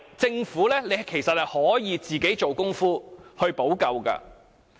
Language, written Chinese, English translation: Cantonese, 政府本來是可以做工夫去補救的。, The Government should have done some remedial work to rectify the issues